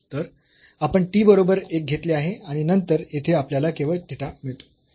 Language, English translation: Marathi, So, we have taken the t is equal to one and then we get here just only theta